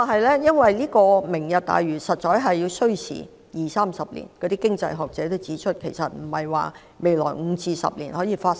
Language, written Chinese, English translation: Cantonese, 然而，實現"明日大嶼願景"需時二三十年，亦有經濟學者指出，這並非未來5至10年可以完成的。, However it will take 20 to 30 years to realize the Lantau Tomorrow Vision . Some economists have also remarked that the programme could not be accomplished in the next five to 10 years